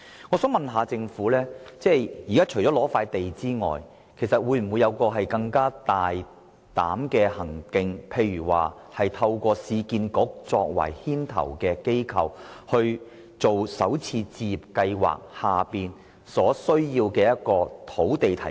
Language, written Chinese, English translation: Cantonese, 我想詢問政府，除了撥出土地，當局會否有更加大膽的舉措，例如由市區重建局擔當牽頭的角色，提供推行首次置業計劃所需要的土地？, I would like to ask the Government Whether bolder measures apart from the granting of land will be adopted for the Urban Renewal Authority URA for example to take the lead in providing land sites needed for the introduction of home starter schemes?